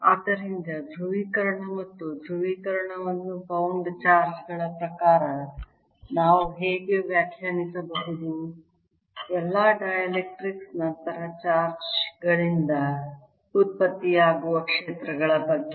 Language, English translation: Kannada, so polarization and how we can interpret polarization in terms of bound charges after all, electrostatics is all about fields being produced by charges